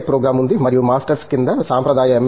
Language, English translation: Telugu, Tech program and also the conventional M